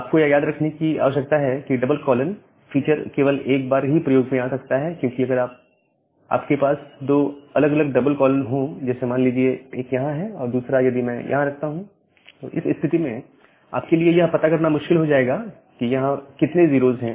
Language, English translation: Hindi, But you need to remember that, this double colon feature can be used only once, because if you have two different double colons; one say here and another double colon if I put here, then it will be difficult for you to find out that how many 0’s are here and how many 0’s are here